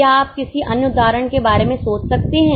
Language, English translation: Hindi, Can you think of any other examples